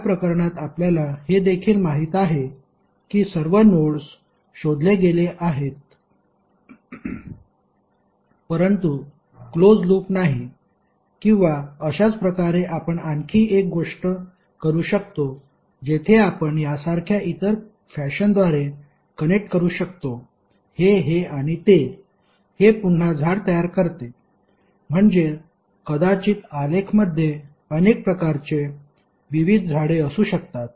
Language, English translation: Marathi, In this case also you know that all the nodes have been traced but there is no closed loop or similarly you can do one more thing that you can connect through some other fashion like this, this and that, that again a tree, So there may be many possible different trees of a graph